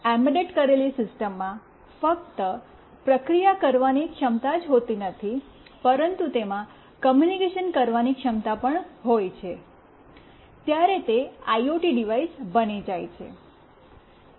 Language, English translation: Gujarati, Whenever an embedded system not only has processing capability, but also has communication capability, it becomes an IoT device